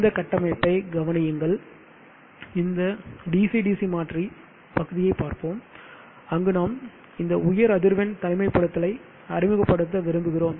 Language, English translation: Tamil, Consider this topology let us look at this DC DC converter portion where we would like to introduce this high frequency isolation